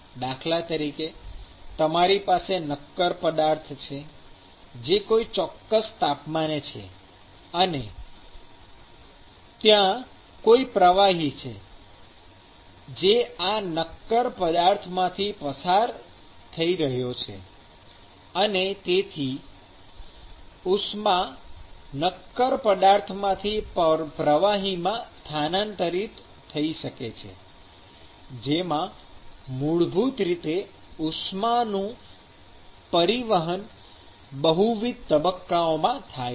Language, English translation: Gujarati, So, for instance, you may have a solid which is actually present at a certain temperature and there may be a fluid which is actually flowing past this solid object and so, the heat might be transferred from the solid to the fluid, so which basically involves heat transport in multiple phases